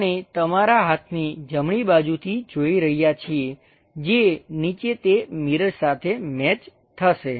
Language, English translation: Gujarati, We are looking from right side of your hand which map down to that mirror